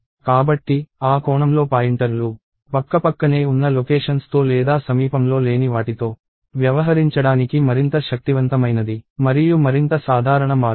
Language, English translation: Telugu, So, pointers in that sense, is more powerful and more generic way of dealing with either contiguous set of locations or something that is not contiguous